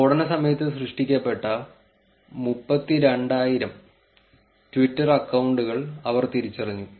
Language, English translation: Malayalam, They identified close to 32000 twitter accounts that were created during the blast